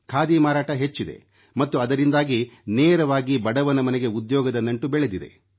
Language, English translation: Kannada, Sale of Khadi has increased and as a result of this, the poor man's household has directly got connected to employment